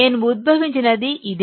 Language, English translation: Telugu, This is what I have derived